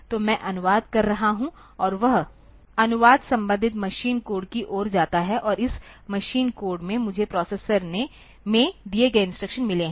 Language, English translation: Hindi, So, I am translating and that translation leads me to the corresponding machine code, and in this machine code I have got the instructions given in the processor